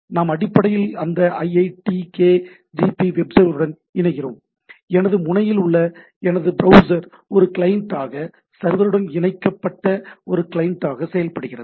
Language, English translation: Tamil, We basically connect to that iitkgp web server and my browser at my end acts as a client, client to the things which is connect to the server